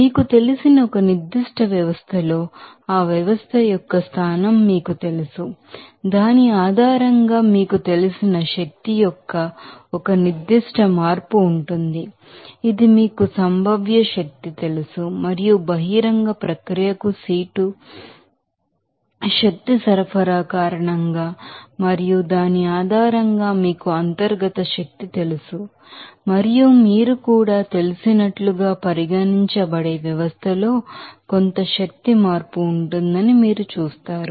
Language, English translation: Telugu, And also the you know position of that system in a particular you know, label based on which there will be a certain change of you know energy that will be regarded as you know potential energy and also due to the seat energy supply to the open process and based on which you will see that there will be a certain change of energy in the system that will be regarded as you know internal energy and also you will see that there will be some pro and it will be working on the system